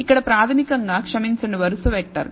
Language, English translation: Telugu, Here basically as a I am sorry a row vector